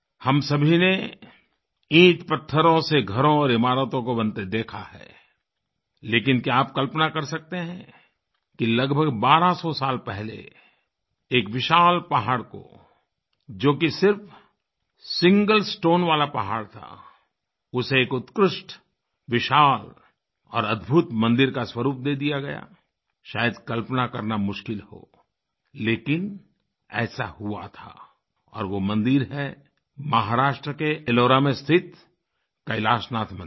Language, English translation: Hindi, All of us have seen houses and buildings being constructed of bricks and stones but can you imagine that about twelve hundred years ago, a giant mountain which was a single stone mountain was give the shape of an elegant, huge and a unique temple this may be difficult to imagine, but this happened and that temple is KailashNathMandir in Ellora, Mahrashtra